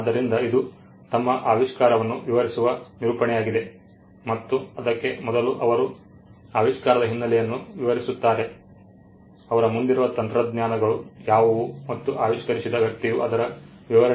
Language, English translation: Kannada, So, it is a narrative he explains his invention and he also before that he explains the background of the invention; what were the technologies before him and how it was not possible for a person skilled in the art which is his sphere to come up with this invention